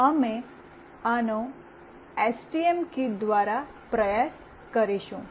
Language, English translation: Gujarati, We will try this out with the STM kit